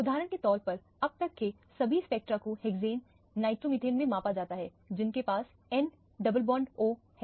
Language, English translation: Hindi, All the spectra up to now is measured in hexane, nitromethane for example, has n double bond o